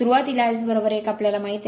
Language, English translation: Marathi, At start S is equal to 1 we know